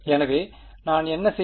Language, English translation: Tamil, So, what I have done